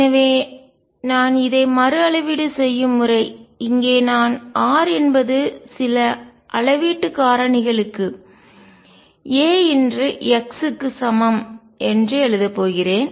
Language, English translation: Tamil, So, the way I rescale is I am going to write r is equal to some scaling factor a times x